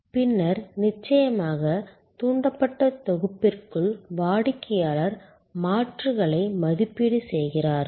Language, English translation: Tamil, And then of course, within the evoked set the customer evaluates the alternatives